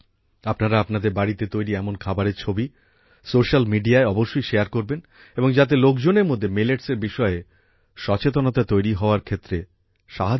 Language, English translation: Bengali, You must share the pictures of such delicacies made in your homes on social media, so that it helps in increasing awareness among people about Millets